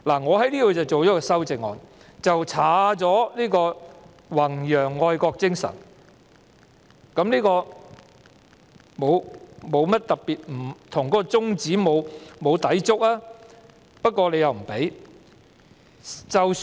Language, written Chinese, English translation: Cantonese, 我就此提出修正案，刪去"弘揚愛國精神"，這沒有抵觸宗旨，但修正案不獲批准提出。, In this regard I have proposed an amendment to delete and to promote patriotism . This is not in contradiction to the legislative intent but my amendment has been ruled inadmissible